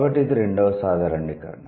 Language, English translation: Telugu, So, that's the second generalization